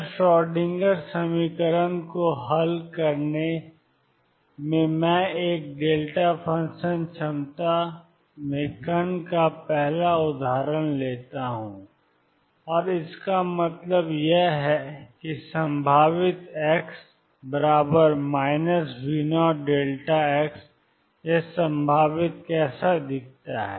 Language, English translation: Hindi, So, in solving Schrodinger equation let me take the first example of particle in a delta function potential and what I mean by that is that the potential V x is equal to minus V 0 delta of x, how does this potential look